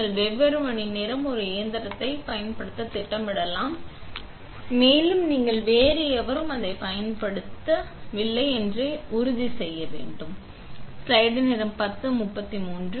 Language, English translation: Tamil, You can schedule to use a machine of different hours, also you can you should check this to make sure nobody else is using it